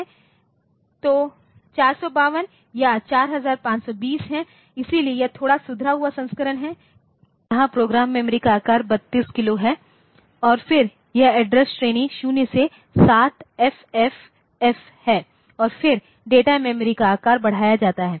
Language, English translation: Hindi, there is 452 or 4520 so, this is a slightly improved version, where the program memory size is 32 kilo and then it is address range is a all 0 to 7FFF and then the data memory size is increased